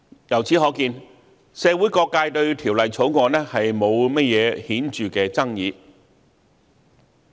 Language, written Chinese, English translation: Cantonese, 由此可見，社會各界對《條例草案》沒有甚麼顯著的爭議。, It can thus been seen that there is not any substantial controversy to the Bill in the community